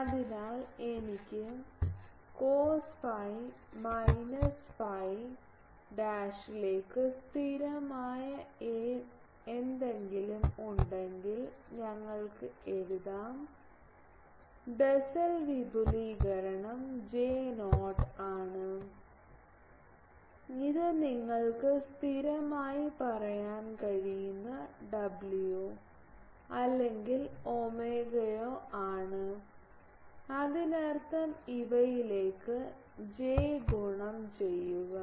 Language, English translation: Malayalam, So, we can write if I have e j some constant into cos phi minus phi dash, the Bessel expansion is J not that w you can say or omega whatever this is a constant; that means, j into these